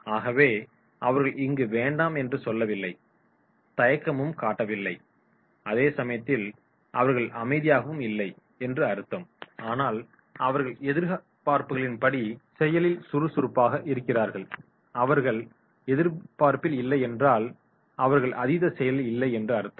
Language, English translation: Tamil, So therefore, they are not saying no, they are not showing reluctance, they are not silent, they are active and they are active as per the expectations not be on expectation, they are not overactive